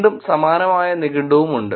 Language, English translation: Malayalam, And again similar there are ANEW dictionary also